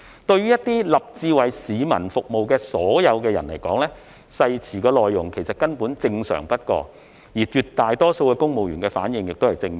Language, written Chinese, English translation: Cantonese, 對於立志為市民服務的人來說，誓詞內容根本正常不過，而絕大多數公務員的反應也是正面的。, Those who are committed to serving the public should find the contents of the oath perfectly acceptable . Also the response from the vast majority of civil servants is positive